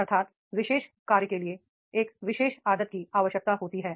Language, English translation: Hindi, That is the particular job that requires a particular habit